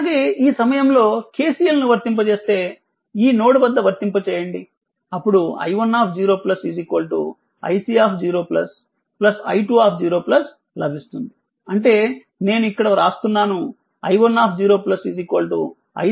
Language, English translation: Telugu, Also, if you apply here at this point, if you apply at this point your at this point your KCL, you apply at this node right, then you will get your i 1 0 plus is equal to i c 0 plus plus i 2 0 plus right, so that means I am writing here i 1 0 plus is equal to your i c 0 plus right plus i 2 0 plus right, you apply KCL at this point